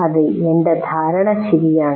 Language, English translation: Malayalam, Yes, this is what my understanding is correct